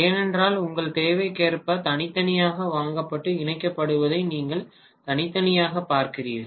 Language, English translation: Tamil, That is because you are essentially looking at individual unit separately being bought and connected as per your requirement